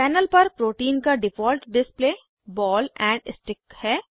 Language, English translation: Hindi, The default display of the protein on the panel, is ball and stick